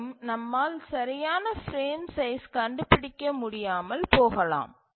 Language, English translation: Tamil, But often we will see that no frame size is suitable